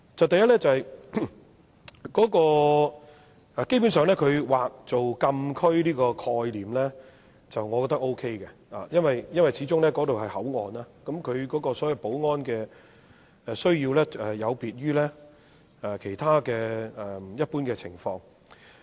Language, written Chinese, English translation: Cantonese, 第一，基本上劃作禁區的概念，我覺得 OK， 因為那裏始終是口岸，保安需要有別於其他一般情況。, First I think the concept of the designation of a closed area is basically acceptable because after all unlike other general situation a port area should have different security needs